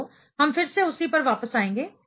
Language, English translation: Hindi, So, we will come back to that